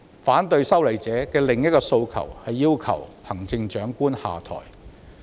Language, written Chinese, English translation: Cantonese, 反對修例者的另一個訴求是要求現任行政長官下台。, Another demand of the opponents of the legislative amendment is that the incumbent Chief Executive should step down